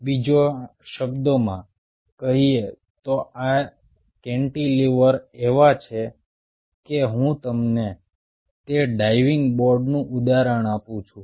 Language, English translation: Gujarati, in other word, these cantilever is just like i give you the example of that diving board